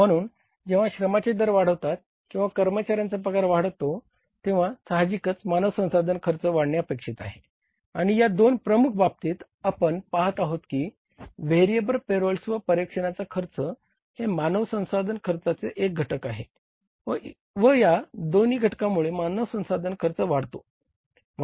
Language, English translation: Marathi, So, when the say labour rates go up or the employee salaries go up naturally the human sources cost is expected to go up and in these two heads we are seeing that variable payrolls also belongs to the HR cost and the supervision cost also belongs to the HR cost in both the cases the HR cost has gone up